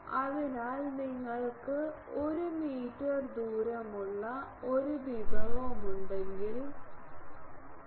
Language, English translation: Malayalam, So, if you have a dish of 1 meter radius then pi